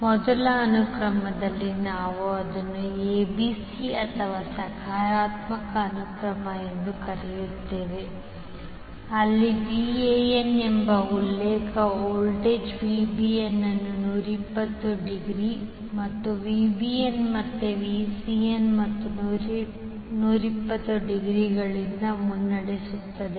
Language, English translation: Kannada, In first sequence we discuss that we call it as ABC or positive sequence where the reference voltage that is VAN is leading VAB sorry VBN by 120 degree and VBN is leading VCN by again 120 degree